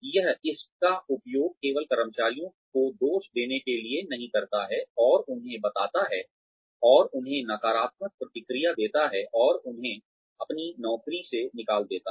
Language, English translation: Hindi, It does not only use this to blame employees, and tell them, and give them, negative feedback, and throw them out of their jobs